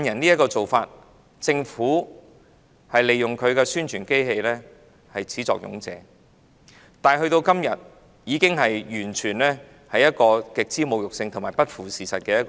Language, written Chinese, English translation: Cantonese, 政府是始作俑者，利用其宣傳機器提出"綜援養懶人"的說法，但時至今日，這種說法完全是極之侮辱和不符事實的。, The Government is the culprit who utilizes its propaganda machine to moot the notion that CSSA nurtures lazybones but nowadays this claim is absolutely insulting and untrue